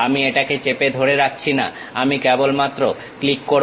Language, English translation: Bengali, I am not pressing holding it, I just click